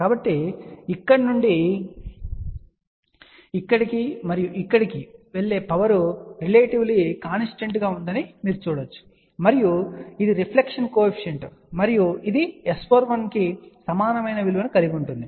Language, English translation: Telugu, So, the power going from here to here and here to here you can see that it is relatively constant, and this is the reflection coefficient and which has a similar value for S